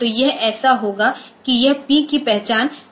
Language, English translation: Hindi, So, this will be so this P will be identifying